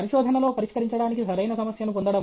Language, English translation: Telugu, Getting the right problem to solve in research